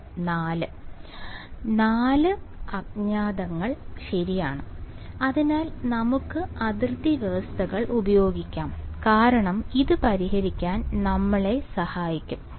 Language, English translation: Malayalam, 4 unknowns alright; so, let us use the boundary conditions because that will help us to solve this